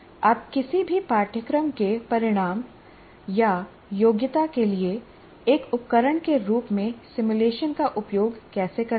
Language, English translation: Hindi, So how do you use a simulation as a tool for any of the, is there a course outcome or a competency as we called it